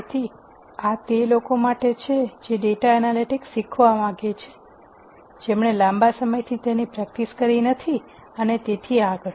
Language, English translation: Gujarati, So, this is for people who want to learn data analytics who have not been practicing it for a long time and so on